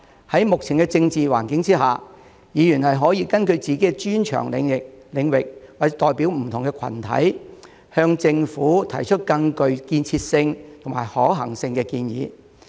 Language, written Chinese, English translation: Cantonese, 在目前的政治環境下，議員可根據自己的專長領域或代表不同的群體，向政府提出更具建設性及可行性的建議。, In the current political environment Members can put forward more constructive and feasible proposals to the Government based on their areas of expertise or the different groups they represent